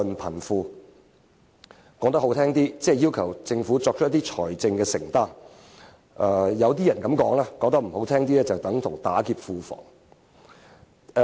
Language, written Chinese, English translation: Cantonese, 說得動聽一點，即要求政府作出一些財政承擔；說得難聽一點，就是"打劫"庫房。, Well to express in high - flown language they are asking the Government to make some financial commitments; to put it blatantly they are purely attempting to rob the public purse